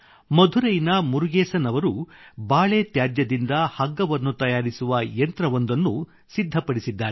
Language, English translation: Kannada, Like, Murugesan ji from Madurai made a machine to make ropes from waste of banana